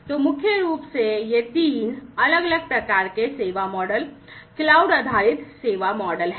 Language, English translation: Hindi, So, primarily these are the three different types of service models, cloud based service models